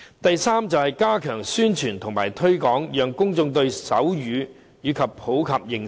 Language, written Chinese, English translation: Cantonese, 第三，加強宣傳和推廣，讓公眾對手語有普及的認識。, Third promotion and publicity should be stepped up so as to popularize the understanding of sign language among members of the public